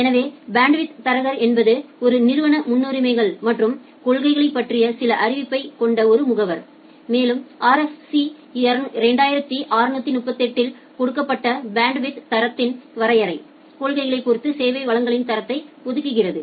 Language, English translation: Tamil, So, the bandwidth broker is an agent that has some knowledge of an organizations priorities and policies, and allocates quality of service resources with respect to those policies as per the definition of bandwidth broker given in RFC 2638